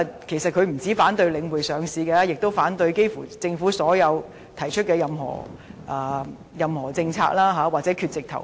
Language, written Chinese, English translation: Cantonese, 他不僅反對領匯上市，幾乎政府提出的任何政策他都反對，要不就是缺席投票。, He does not only oppose the listing of The Link REIT but nearly every policy proposed by the Government or he will simply be absent when the vote is taken